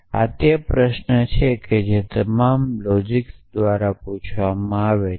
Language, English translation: Gujarati, This is this is the question which is asked by all logicians